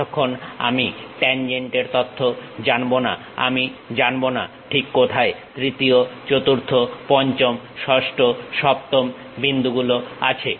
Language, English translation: Bengali, Unless I know the tangent information I do not know where exactly the third, fourth, fifth, sixth, seventh points are present